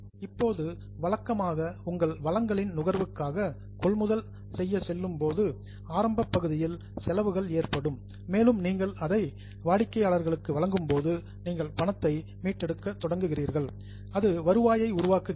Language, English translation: Tamil, Now, usually the costs are incurred in the beginning part when you go for procurement and consumption of your resources and as you deliver it to the customers, you start recovering money and that generates what is known as revenue